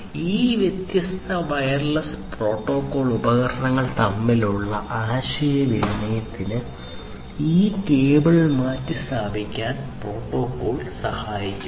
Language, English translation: Malayalam, So, this cable replacement protocol we will help for communicating between these different wireless you know portable devices and so on